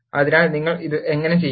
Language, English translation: Malayalam, So, how do you do this